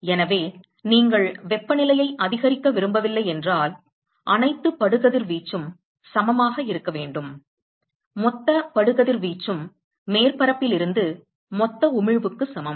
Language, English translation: Tamil, So, if you do not want the temperature to increase then all incident radiation should be equal to; total incident radiation equal to total emission from the surface